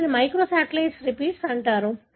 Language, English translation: Telugu, So, these are called as microsatellite repeats